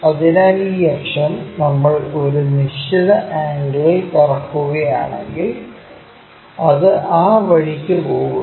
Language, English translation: Malayalam, So, this axis if we are rotating by a certain angle it goes in that way